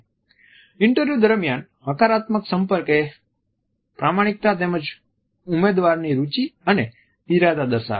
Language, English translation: Gujarati, A positive eye contact during interviews exhibits honesty as well as interest and intentions of the candidate